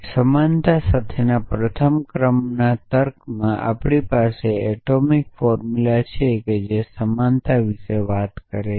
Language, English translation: Gujarati, So, in first order logic with equality we have atomic formula is which talk about equality as well essentially